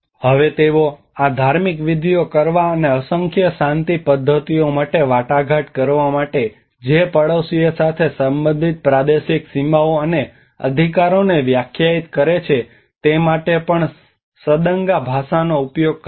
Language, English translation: Gujarati, Now they also use the Sadanga language to conduct these rituals and to negotiate a numerous peace pacts which define the territorial boundaries and rights related to the neighbours